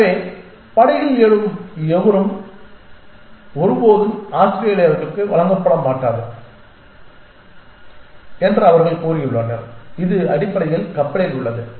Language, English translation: Tamil, So, they have said that anybody who arise by boat will never be given Australian’s this is in ship essentially you will also rules like this